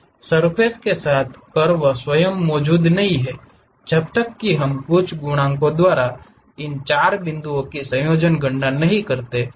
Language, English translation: Hindi, As with the surfaces, the curve itself does not exist, until we compute combining these 4 points weighted by some coefficients